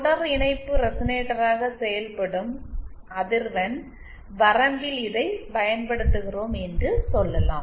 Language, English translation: Tamil, Let us say we are using it in a frequency range where it acts as a series resonator